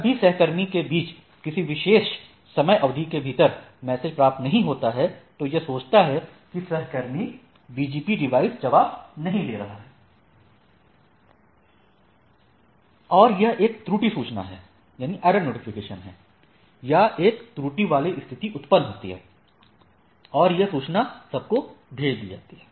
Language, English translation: Hindi, So, it is go on beaconing between the peers whenever, whenever it is not receiving within a particular time period, so it goes on a it thinks that there is the BGP that the peer BGP device is not responding and accordingly a error notification or error or a condition is generated and the information is sent to the things